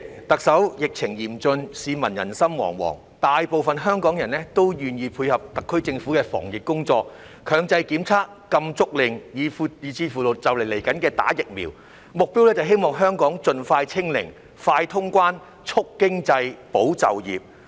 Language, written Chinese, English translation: Cantonese, 特首，疫情嚴峻，市民人心惶惶，大部分香港人都願意配合特區政府的防疫工作——強制檢測、禁足令，以至快將進行的疫苗接種，目標是希望香港盡快"清零"，快通關，促經濟，保就業。, Chief Executive the severity of the pandemic is causing panic among members of the public . Most Hong Kong people are willing to support the SAR Governments anti - pandemic efforts including compulsory testing stay - at - home orders and a soon - to - be - implemented vaccination programmme . The objective is that Hong Kong will hopefully soon achieve zero infection so that it can accelerate reopening the border boost the economy and safeguard jobs